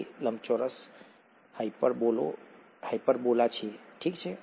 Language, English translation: Gujarati, It’s a rectangular hyperbola, okay